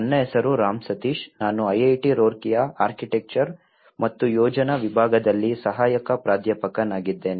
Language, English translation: Kannada, My name is Ram Sateesh I am assistant professor in Department of Architecture and planning IIT Roorkee